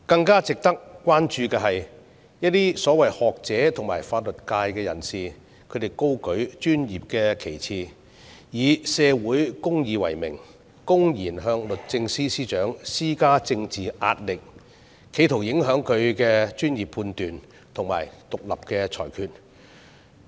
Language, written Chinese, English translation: Cantonese, 更值得關注的是，一些所謂學者和法律界人士高舉專業的旗幟，以社會公義為名，公然向律政司司長施加政治壓力，企圖影響其專業判斷和獨立裁決。, What is more noteworthy is that while holding high the banner of professionalism and in the name of social justice some so - called scholars and members of the legal profession blatantly exert political pressure on the Secretary for Justice in an attempt to influence her professional judgment and independent decision